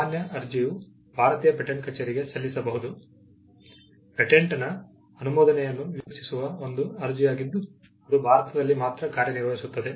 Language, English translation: Kannada, The ordinary application is an application which you would make, before the Indian patent office, expecting a grant of a patent, which will have operation only in India